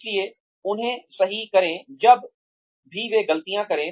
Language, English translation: Hindi, So correct them, whenever they make mistakes, so that, they do not make